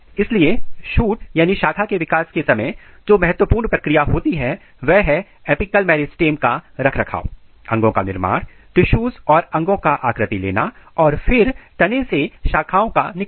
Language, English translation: Hindi, So, during shoot development the important process which takes place is the root shoot apical meristem maintenance, organogenesis, tissue and organ patterning and then shoot branching